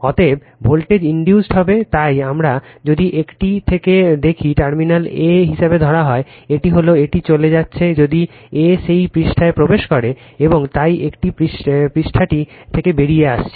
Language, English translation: Bengali, Therefore, voltage will be induced, so that is why, if we look in to that from a dash say terminal is taken as a, this is the, it is leaving if a is entering into that page, and therefore a dash is leaving the page right